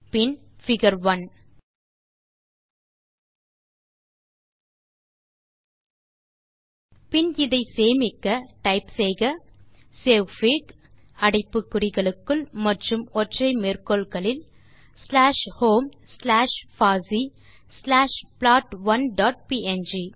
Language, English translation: Tamil, Then figure 1 and then for saving it we can type savefig within brackets in single quotes slash home slash fossee slash plot1 dot png